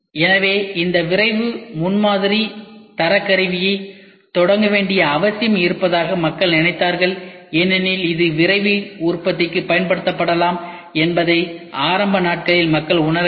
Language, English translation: Tamil, So, like that people thought there is a need to initiate this rapid prototyping standards tool because people did not realize in the initial days that this can be used for Rapid Manufacturing, they realized it only for prototyping